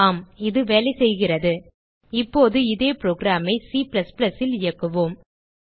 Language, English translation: Tamil, Yes,it is working Now we will execute the same program in C++